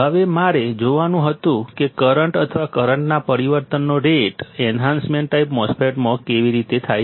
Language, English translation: Gujarati, Now, I had to see how the rate of change of current or the current change occurs in the enhancement type MOSFET